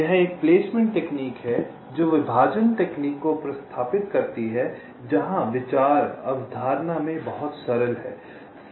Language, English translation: Hindi, this is a placement technique which replaces partitioning technique, where the idea is very simple in concept